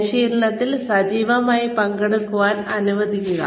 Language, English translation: Malayalam, Allow the trainee to participate actively